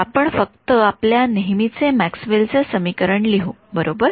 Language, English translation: Marathi, So, let us just write down our usual Maxwell’s equation right